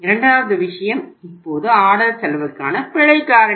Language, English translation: Tamil, Second thing is now the error factor for ordering cost